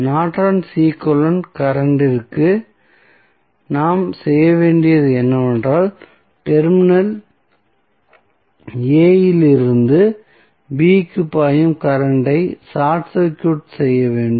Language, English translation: Tamil, And for the Norton's equivalent current I n what we have to do, we have to short circuit the current flowing from Terminal A to B